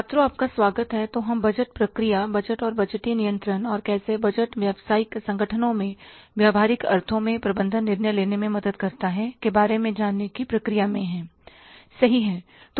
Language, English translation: Hindi, So, we are in the process of learning about the budgeting process, budget and budgetary controls and how the budgets help in the management decision making in the practical sense in the business organizations